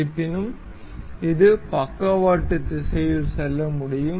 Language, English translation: Tamil, However, it can move in lateral direction